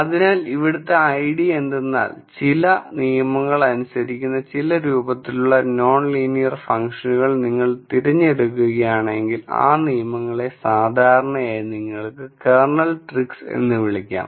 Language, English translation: Malayalam, So, the idea here is that if you choose certain forms of non linear functions which obey certain rules and those rules typically are called you know Kernel tricks